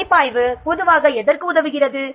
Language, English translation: Tamil, Review usually helps for what